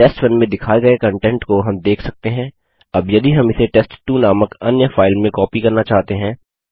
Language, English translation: Hindi, As we can see the content of test1 is shown, now if we want to copy it into another file called test2 we would write